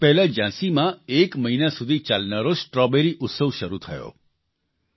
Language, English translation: Gujarati, Recently, a month long 'Strawberry Festival' began in Jhansi